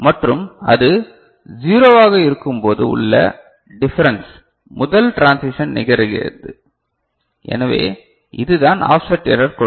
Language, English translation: Tamil, And the difference when it is at 0, and the first transition occurs, so that is the giving the offset error